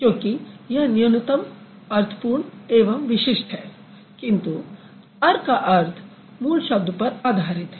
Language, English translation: Hindi, It is minimal, it is meaningful, it is distinctive, but the meaning of earth is dependent on the root word